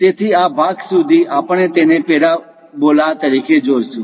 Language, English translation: Gujarati, So, up to this portion, we see it as a parabola